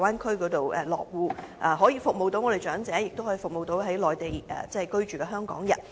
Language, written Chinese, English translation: Cantonese, 這樣既可以服務長者，也可以服務在內地居住的香港人。, By doing so services can be provided not only to the elderly people but also to those Hong Kong people residing on the Mainland